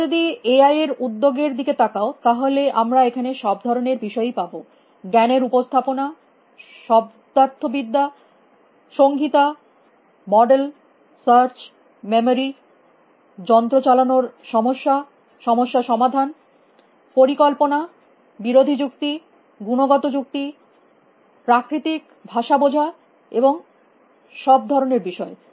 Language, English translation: Bengali, If you look at the enterprise of AI, then we have all kinds of topics here, knowledge representations, semantics, anthology, models, search, memory, machine running, problem solving, planning, adversarial reasoning, qualitative reasoning, natural language understanding and all kinds of topics